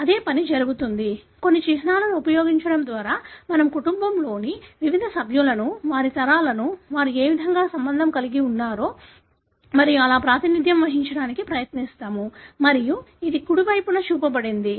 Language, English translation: Telugu, The same thing is done, by using certain symbols we try to represent the different members of the family, their generation, in what way they are related and so on and this is what is shown on the right side